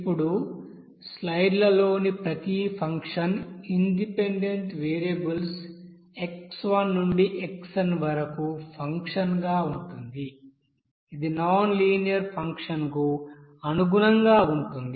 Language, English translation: Telugu, Now each function here in the slides that f as a function of that independent variables of x1 to xn that corresponds to a nonlinear function